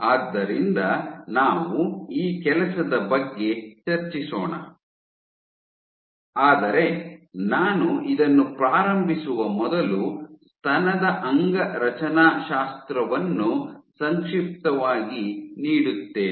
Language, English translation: Kannada, So, we will discuss this work, but before I get started let me briefly give the anatomy of the breast